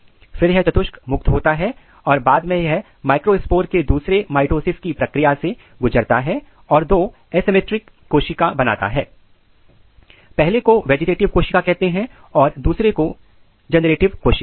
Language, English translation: Hindi, This tetrads release and then later on this microspores they undergo the process of another round of mitosis and they generate two asymmetric cell; one is called vegetative cell another is called generative cells